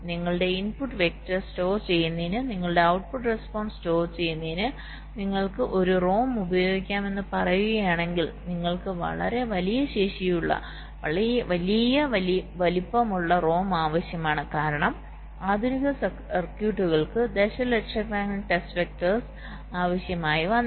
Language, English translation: Malayalam, if you are saying that you will be using a rom to store your input vector, to store your output response, you need ah rom of a very large capacity, large size, because for a modern this circuits circuits let say you made a requiring millions of test vectors and and in the circuit there can be hundreds of outputs